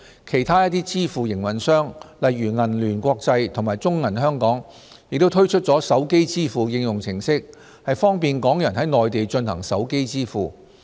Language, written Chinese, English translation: Cantonese, 其他一些支付營運商，例如銀聯國際及中國銀行有限公司，亦推出了手機支付應用程式方便港人在內地進行手機支付。, Other payment operators such as UnionPay International and Bank of China Hong Kong Limited have introduced mobile payment applications to facilitate mobile payment by Hong Kong people on the Mainland